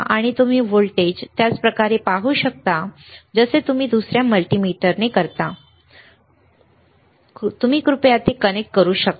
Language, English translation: Marathi, And you can see the voltage same way you can do it with another multimeter, which is your, this one can, you can you please connect it